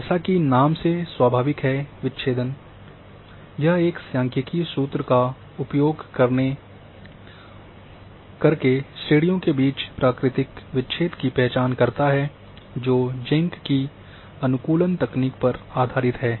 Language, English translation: Hindi, As name implies natural breaks, it identified natural breaks between the classes using a statistical formula which is based on Jenk’s optimization technique